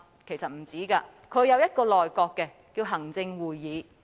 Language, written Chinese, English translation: Cantonese, 其實不是，他有一個內閣，稱為行政會議。, In fact not he has a cabinet known as the Executive Council